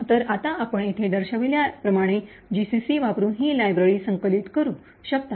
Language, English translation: Marathi, So, now you can compile this library by using GCC as shown over here